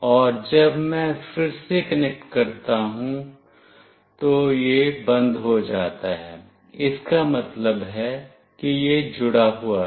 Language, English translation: Hindi, And when I again connect, it has stopped that means it has connected